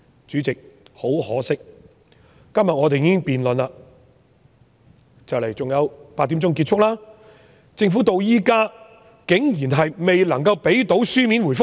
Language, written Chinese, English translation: Cantonese, 主席，很可惜，我們今天已經辯論預算案，辯論在晚上8時就結束，政府竟然至今未能夠向我們提供書面答覆。, President unfortunately up till today when we are having the Budget debate which will end at 8col00 pm the Government has surprisingly not given us any written reply